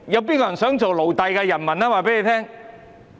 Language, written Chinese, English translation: Cantonese, 誰想做奴隸的人們？, Who wants to be a slave?